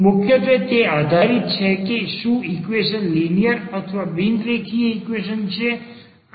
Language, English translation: Gujarati, Mainly based on this whether the equation is linear or this is a non linear equation